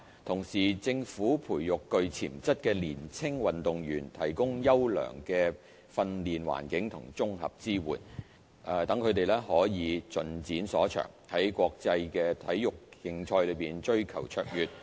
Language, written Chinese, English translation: Cantonese, 同時，政府培育具潛質的年輕運動員，提供優良的訓練環境及綜合支援，讓他們可以盡展所長，在國際體育競賽追求卓越。, At the same time the Government nurtures potential junior athletes by providing them with a high - quality training environment and integrated support helping them to develop to their full potential and to achieve excellence in international major sports competitions